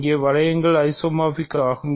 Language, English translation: Tamil, It is also an isomorphism